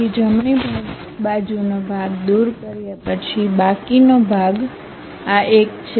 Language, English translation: Gujarati, So, after removing the right side part, the left over part is this one